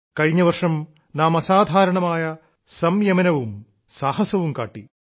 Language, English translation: Malayalam, Last year, we displayed exemplary patience and courage